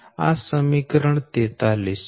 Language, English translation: Gujarati, this is equation forty three